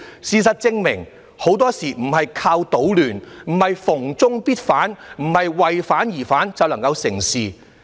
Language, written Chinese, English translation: Cantonese, 事實證明，很多事情並非靠搗亂，並非"逢中必反"，不是"為反而反"便能夠成事。, These facts prove that many things cannot accomplished by destruction indiscriminate opposition to China or opposition for the sake of opposition